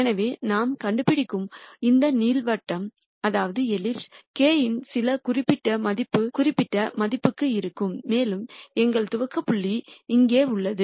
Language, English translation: Tamil, So, this ellipse that we trace would be for some particular value of k and our initialization point is here